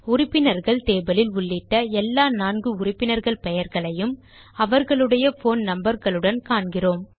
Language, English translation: Tamil, Notice that we see all the four members that we originally entered in the Members table along with their phone numbers